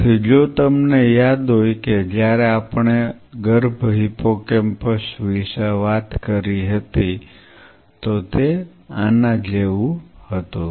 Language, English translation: Gujarati, So, if you remember when we talked about a fetal hippocampus, it is more like this